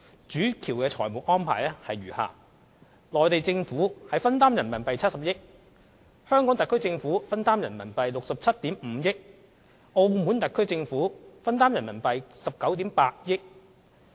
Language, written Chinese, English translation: Cantonese, 主橋的財務安排如下：內地政府分擔70億元人民幣，香港特區政府分擔67億 5,000 萬元人民幣，澳門特區政府分擔19億 8,000 萬元人民幣。, The financial arrangements for the Main Bridge were as follows The Mainland Government would contribute RMB7 billion . The Hong Kong SAR Government would contribute RMB6.75 billion . The Macao SAR Government would contribute RMB1.98 billion